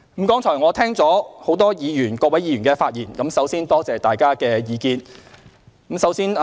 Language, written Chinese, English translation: Cantonese, 剛才我聽到很多議員的發言，首先感謝大家的意見。, I have listened to many Members speeches just now . First of all I thank them for their comments